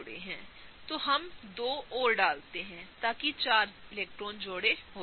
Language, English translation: Hindi, So, now let us put two more, so that is four electron pairs